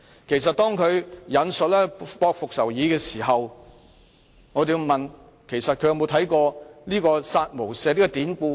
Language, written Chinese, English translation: Cantonese, 既然他引述《駁復仇議》，那麼我便要問其實他曾否了解"殺無赦"的典故。, As he quoted from A Rebuttal of Memorial on Revenge I must ask if he has sought to understand the allusion of kill without mercy